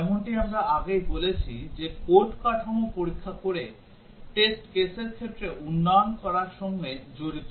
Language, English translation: Bengali, White box testing as we had already said involves developing the test cases by examining the code structure